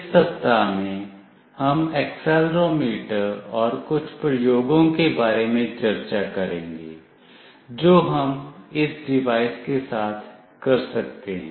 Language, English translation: Hindi, In this week, we will be discussing about Accelerometer and some of the experiments that we can do with this device